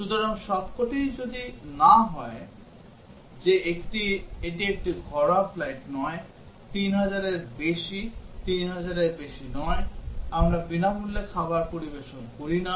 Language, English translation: Bengali, So, if all are no that it is not a domestic flight, more than 3000, not more than 3000, we do not serve free meals